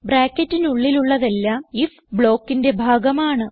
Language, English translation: Malayalam, Whatever is inside the brackets belongs to the if block